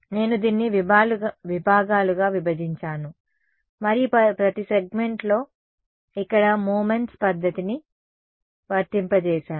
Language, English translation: Telugu, I broke up this into segments and applied a method of moments over here on each of the segments ok